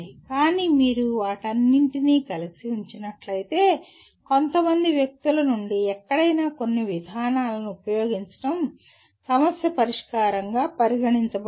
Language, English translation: Telugu, But if you put all of them together, anywhere from some people mere application of some procedure is considered problem solving